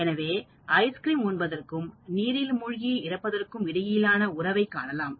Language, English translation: Tamil, There is a positive correlation between ice cream consumption and number of drowning deaths in a given period